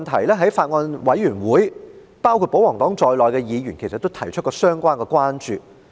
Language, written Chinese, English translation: Cantonese, 在法案委員會上，包括保皇黨在內的議員其實也曾就這問題提出關注。, At the Bills Committee members including those from the royalist party did raise their concern about this issue